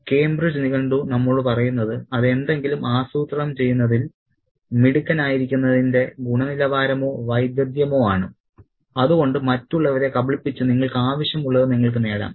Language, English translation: Malayalam, Cambridge dictionary tells us that it is the quality or skill of being clever at planning something so that you get what you want, especially by tricking other people